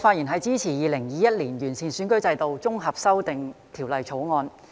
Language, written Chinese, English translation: Cantonese, 主席，我發言支持《2021年完善選舉制度條例草案》。, President I rise to speak in support of the Improving Electoral System Bill 2021 the Bill